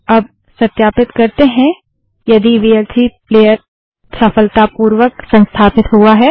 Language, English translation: Hindi, Now, let us verify if the vlc player has been successfully installed